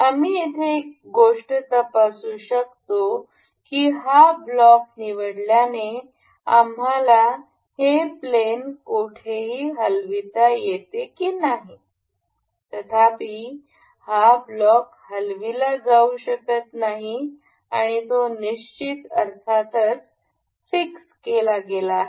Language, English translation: Marathi, One thing we can check here that selecting this block allows us to move this anywhere in the plane; however, this block cannot be moved and it is fixed